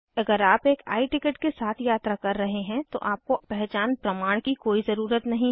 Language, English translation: Hindi, In case of I Ticket as mentioned earlier, no identity proof is required